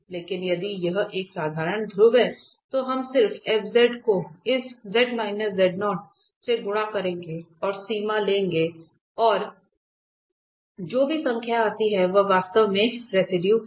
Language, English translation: Hindi, So, if it is a simple pole we will just multiply by z minus z naught to this f z and take the limit and whatever number comes that is actually the residue